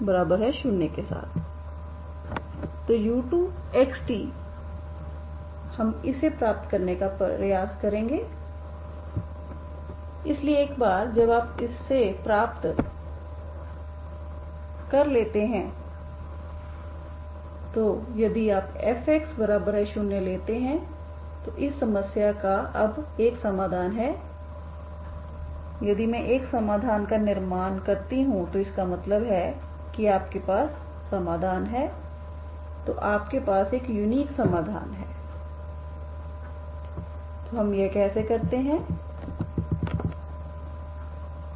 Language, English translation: Hindi, So u2 we will try to get it, so once you get this u2 now if you take f equal to 0 here now we know that if you choose in particular f is 0 then this problem has at most one solution now if I construct one solution so that means you have this solution, okay so you have a unique solution, how do we do this